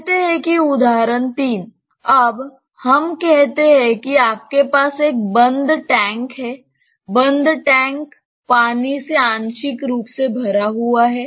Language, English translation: Hindi, Now, let us say you have a close tank ok; close tank partially filled with water